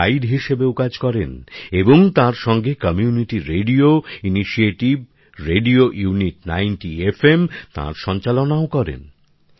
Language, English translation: Bengali, They also serve as guides, and also run the Community Radio Initiative, Radio Unity 90 FM